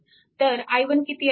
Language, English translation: Marathi, So, then what will be i 1